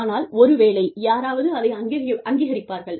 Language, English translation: Tamil, But, maybe, somebody will recognize it